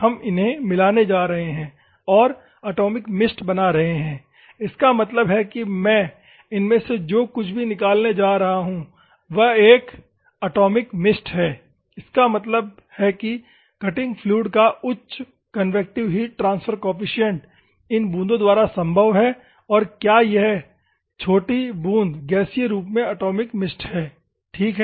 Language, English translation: Hindi, We are going to mix forcibly and making the atomized mist; that means, that whatever I am going to get out of these is an atomized mist; that means, that high convective heat, the convective heat transfer coefficient of cutting fluid is carried by these droplets and is this droplet in the gaseous form ok, atomized mist ok